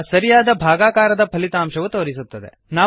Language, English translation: Kannada, Now the result of real division is displayed